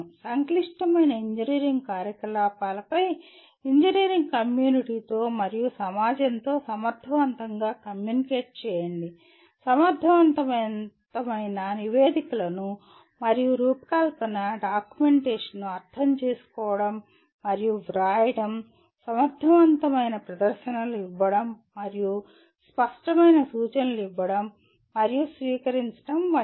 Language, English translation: Telugu, Communicate effectively on complex engineering activities with the engineering community and with society at large such as being able to comprehend and write effective reports and design documentation, make effective presentations and give and receive clear instructions